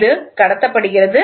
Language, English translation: Tamil, So, it is transmitted